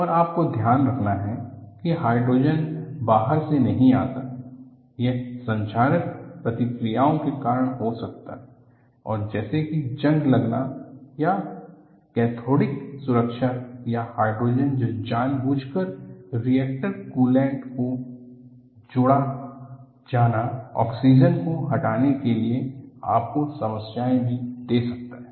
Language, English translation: Hindi, And what you have to keep in mind is, the hydrogen does not come from outside, it may be because of corrosive reaction such as, rusting or cathodic protection or hydrogen that is intentionally added in reactor coolant, they remove oxygen, can also give you problems